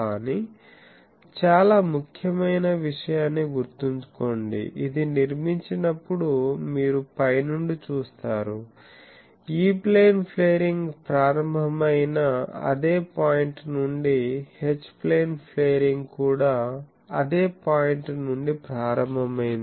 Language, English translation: Telugu, But remember the very important point, that when it was constructed you see from the top that from the same point when the E Plane flaring started, the H plane flaring also started from the same point